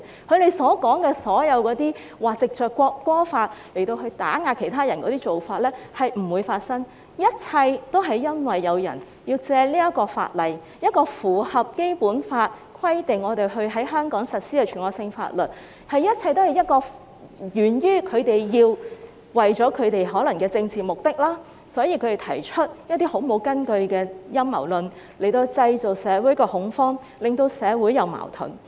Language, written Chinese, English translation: Cantonese, 他們所說的政府會藉這項法例打壓其他人是不會發生，一切都是因為有人要藉法例——這是一項符合《基本法》的規定，必須在香港實施的全國性法律——他們可能是為了政治目的，因而提出毫無根據的陰謀論，藉以在社會上製造恐慌，令社會出現矛盾。, They claim that the Government will make use of this law to suppress others but this will not happen . It is solely because some people have to make use of this law―a national law in line with the Basic Law which must be implemented in Hong Kong―they may do so out of political purposes and therefore they have resorted to such conspiracy theories which are unfound for the sake of creating panic in society and stirring up social conflicts